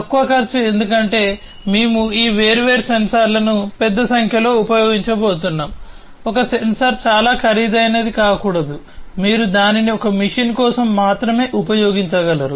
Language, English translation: Telugu, Low cost because we are going to use large number of these different sensors, it should not happen that one sensor is so costly, that only you can use it for one machine